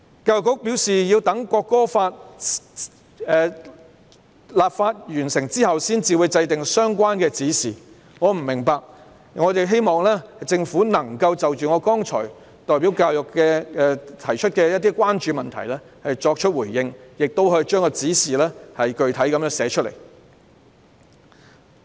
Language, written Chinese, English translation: Cantonese, 教育局表示要待《條例草案》立法完成後才會制訂相關的指示，我不明白為何要等待，希望政府能夠就我剛才代表教育界提出的關注作出回應，亦可以把指示具體地寫出來。, As advised by the Education Bureau the relevant directions will not be formulated until the legislative exercise of the Bill has been completed . I do not understand why we have to wait . I hope the Government can respond to the concerns raised by me just now on behalf of the education sector and set out the directions specifically in writing